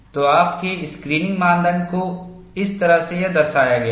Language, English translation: Hindi, So, your screening criteria is depicted here, in this fashion